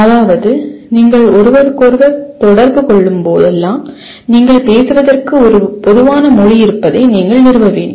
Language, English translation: Tamil, That means whenever you are communicating with each other first thing that you have to establish that you have a common language to speak